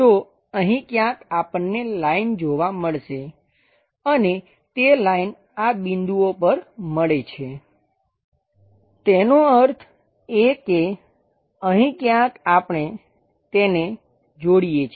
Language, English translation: Gujarati, So, somewhere here we have to see a line and that line joins at this points; that means, here somewhere we are supposed to join that